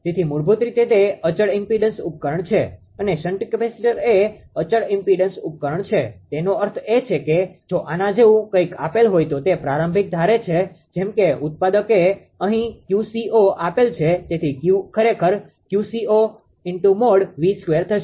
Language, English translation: Gujarati, So, basically it is a constant impedance device shunt the capacitor is a constant impedance device; that means, it suppose initial value if something is given like this manufacture Q c 0 therefore, you are actually Q will be Q c 0 then magnitude of the voltage square